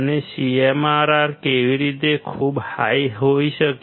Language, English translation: Gujarati, And how the CMRR can be very high